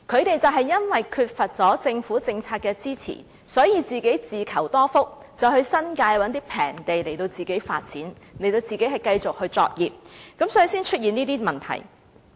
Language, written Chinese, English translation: Cantonese, 由於缺乏政府政策支持，他們當年便自求多福，到新界尋找便宜的土地發展，繼續作業，所以才會出現今天的問題。, Without the support of government policies these operators could only rely on their own effort to change for the better . Hence they found inexpensive sites in the New Territories to continue with their operation giving rise to the current problem